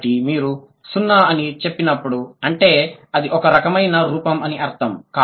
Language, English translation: Telugu, So, when you say 0, that means this kind of a form